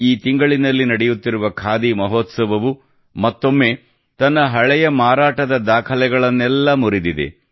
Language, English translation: Kannada, The ongoing Khadi Mahotsav this month has broken all its previous sales records